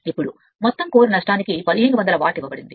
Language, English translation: Telugu, Now, total core loss is given 1500 watt